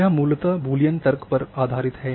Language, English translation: Hindi, So, this is based on simply on Boolean logic